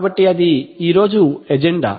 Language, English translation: Telugu, So that is the agenda today